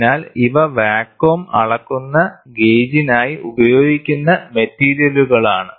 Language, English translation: Malayalam, So, these are the materials which are used for the vacuum measuring gauge